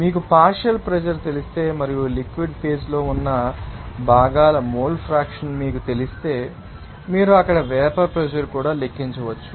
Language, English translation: Telugu, If you know the partial pressure and you know the mole fraction of the components in the liquid phase, then you can also calculate the vapour pressure there